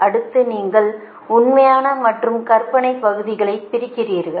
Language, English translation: Tamil, so multiply and then you separate real and imaginary part, right